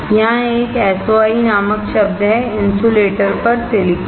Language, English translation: Hindi, There is word called SOI; silicon on insulator